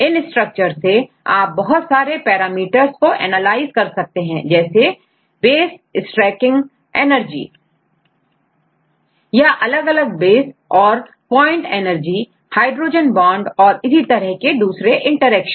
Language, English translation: Hindi, Then from the structures you can analyze various parameters for example, various parameters for the nucleotides right how all the how about the base stacking energy or the or different bases, how is the base pairing energy, how about the hydrogen bonds, right various types of interactions